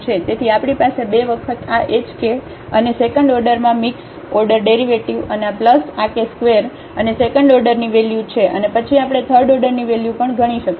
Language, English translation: Gujarati, So, we have the two term 2 times this h k and the second order mixed order derivative and plus this k square and the second order term here, and then we can compute the third order term as well